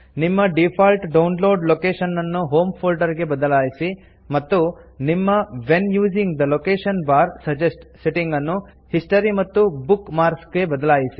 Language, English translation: Kannada, Change your default download location to Home Folder and Change your When using the location bar, suggest: setting to History and Bookmarks